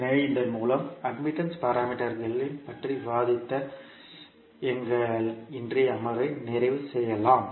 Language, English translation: Tamil, So with this we can close our today’s session in which we discussed about the admittance parameters